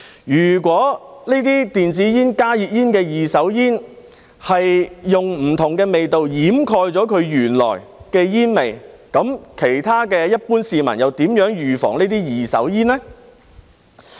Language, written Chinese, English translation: Cantonese, 如果電子煙、加熱煙的二手煙使用了不同的味道掩蓋原來的煙味，其他一般市民又如何預防這些二手煙呢？, If different flavours have been used to cover up the original smell of second - hand smoke from e - cigarettes and HTPs how can the other people avoid such second - hand smoke?